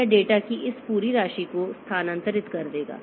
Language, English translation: Hindi, It will be transferring this entire amount of data